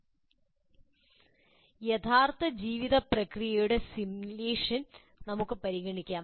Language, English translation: Malayalam, Now, let us go to simulation of some some real life processes